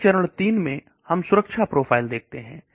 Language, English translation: Hindi, Then the phase 3 we are looking at safety profiles